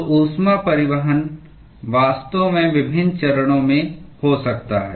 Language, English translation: Hindi, So, heat transport can actually occur in different phases